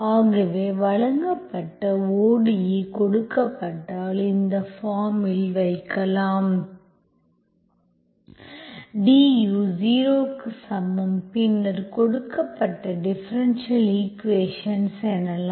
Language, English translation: Tamil, So if you can find such a u function so that you are given, given ODE, you can put it in this form, du is equal to 0, then you say that the given differential equation is exact